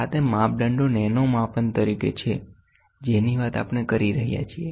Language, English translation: Gujarati, These are the measurements we are talking as nano measurements